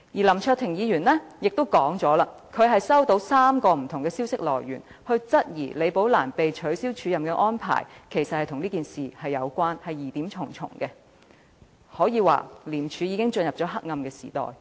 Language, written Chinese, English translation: Cantonese, 林卓廷議員亦指出，他收到3個不同的消息來源，均質疑李寶蘭被取消署任安排一事其實與此事有關，疑點重重，廉署可說已進入黑暗時代。, Mr LAM Cheuk - ting also pointed out that he has received information from three different sources all querying that the cancellation of the acting appointment of Rebecca LI may relate to the UGL incident . The whole thing is fraught with doubts and it can be said that ICAC has already been plunged into a dark age